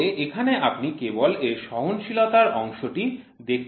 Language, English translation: Bengali, But as of now you will see only the tolerances part of it